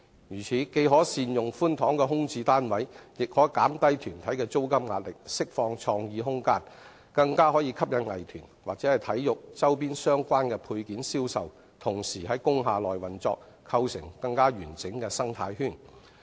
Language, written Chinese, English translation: Cantonese, 如此，既可善用寬敞的空置單位，亦可減低團體的租金壓力、釋放創意空間，更可吸引藝團或體育周邊相關的配件銷售同時在工廈內運作，構成更完整的生態圈。, In this way the spacious vacant units can be made good use of the rental pressure of performing groups can also be reduced more creative room can be released and the selling activities of arts or sports related products can even be attracted to conduct inside industrial buildings thus rendering the ecological environment more desirable